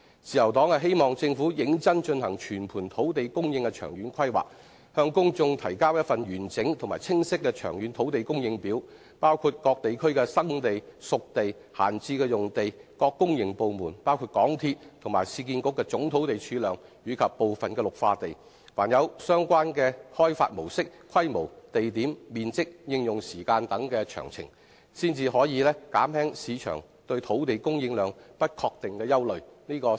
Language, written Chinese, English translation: Cantonese, 自由黨希望政府認真進行全盤土地供應的長遠規劃，向公眾提交一份完整及清晰的長遠土地供應表，包括各地區的"生地"、"熟地"、閒置用地、各公營部門包括港鐵和市區重建局的總土地儲量及部分綠化地，以及相關土地的開發模式、規模、地點、面積、應用時間等詳情，才可以減輕市場對土地供應量不確定的憂慮。, The Liberal Party hopes that the Government will seriously undertake long - term planning for land supply in a holistic manner and provide the public with a complete and clear schedule for long - term land supply which covers potential sites spade ready sites and idle sites in various districts the total land reserves of public entities including the MTR Corporation Limited and the Urban Renewal Authority and some green belt areas as well as such details as the development modes scales locations areas and times of use of the relevant land lots so as to allay market concerns over an uncertain supply of land